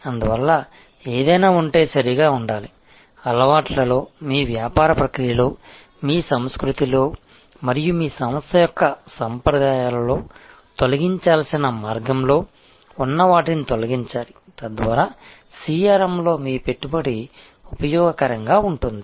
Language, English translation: Telugu, Therefore, to be proper if there is anything; that is in your culture in your business process in the habits and the conventions of your organization, that come in the way that has to be removed that has to be eliminated, so that your investment in CRM is useful